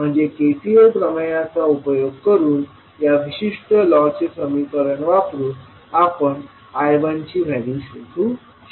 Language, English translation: Marathi, So using that KCL theorem we will the particular law we can utilize the equation and find out the values of I 1